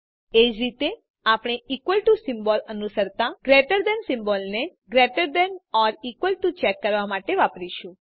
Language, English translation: Gujarati, Similarly we use a greater than symbol followed by an equal to symbol for checking greater than or equal to